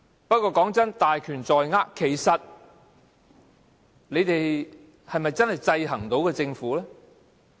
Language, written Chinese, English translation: Cantonese, 不過，雖說是大權在握，但其實你們是否真的能夠制衡政府呢？, Nevertheless despite all the power in your hands can you people really check and monitor the Government?